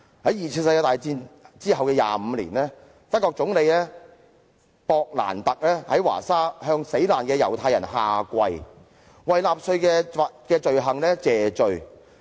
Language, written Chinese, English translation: Cantonese, 在二次世界大戰後25年，德國總理威利.勃蘭特在華沙向猶太死難者下跪，為納粹的罪行謝罪。, Twenty - five years after World War II the then German Chancellor Willy BRANDT dropped to his knees before a monument to Jewish victims in Warsaw in a bid to show penitence for the crimes committed by the Nazis